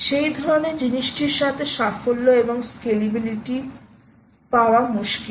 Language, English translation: Bengali, i mean its hard to, you know, to get to have success and scalability with that kind of thing